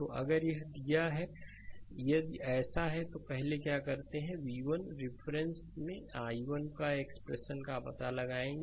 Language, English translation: Hindi, So, if it is, if it is so then first what you do is you find out the expression of i 1 in terms of v 1